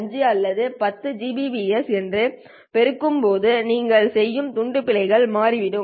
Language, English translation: Tamil, 5 or 10 gbps, the kind of bit errors that you are making would turn out to be